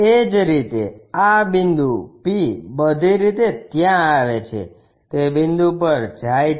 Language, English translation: Gujarati, Similarly, this point p comes there all the way goes to that point